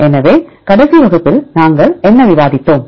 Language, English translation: Tamil, So, what did we discuss in the last class